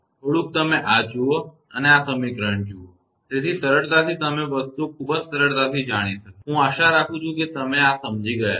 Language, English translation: Gujarati, Just little bit you see this and look at this equation; so, easily you will be knowing the things very easily; I hope you have understood this